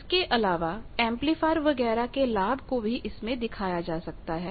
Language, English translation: Hindi, Then gain of any amplifier etcetera that can also be displayed there